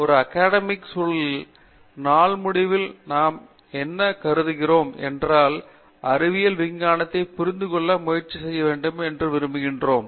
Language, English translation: Tamil, But, that said, at the end of the day in an academivc environment what we view is that, we want people to try to understand the science aspects